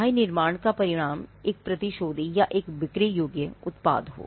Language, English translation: Hindi, Whether manufacturer results in a vendible or a saleable product